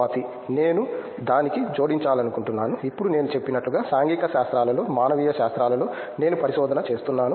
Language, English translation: Telugu, I would like to add to that, now as I said I am doing my research in humanities in social sciences